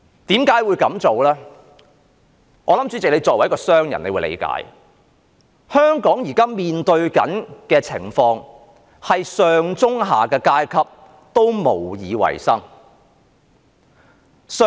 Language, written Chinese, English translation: Cantonese, 主席，我相信你作為一名商人也會理解，香港現時面對的情況，就是上、中、下的階級也無以為生。, Chairman I believe you can understand the reason because you are a businessman . In the present state of Hong Kong the top middle and bottom echelons have no means to get by